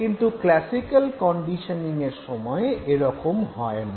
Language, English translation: Bengali, In the case of classical conditioning that doesn't happen, no